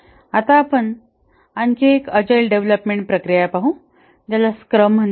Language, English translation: Marathi, Now let's look at another agile development process which is called a scrum